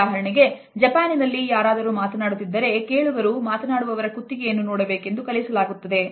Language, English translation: Kannada, For example, in Japan listeners particularly women are taught to focus on a speaker’s neck in order to avoid eye contact